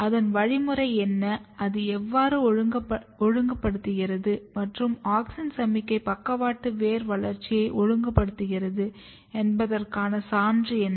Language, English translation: Tamil, So, what is the mechanism, how it regulates and what is the proof that auxin signalling is regulating lateral root development